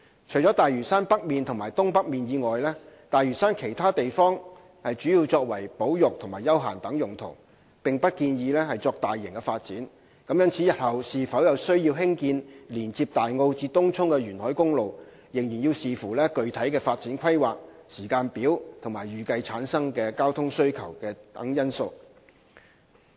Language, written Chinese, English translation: Cantonese, 除了大嶼山北面及東北面以外，大嶼山其他地方主要作保育和休閒等用途，並不建議作大型發展，故日後是否有需要興建連接大澳至東涌的沿海公路，要視乎具體的發展規劃、時間表及預計產生的交通需求等因素。, Apart from North and Northeast Lantau the rest of Lantau Island is mainly used for conservation and recreation purposes and no large - scale development is recommended . Therefore whether there is a need to construct a coastal road linking Tai O to Tung Chung depends on the overall development plan timetable the expected traffic demand and other factors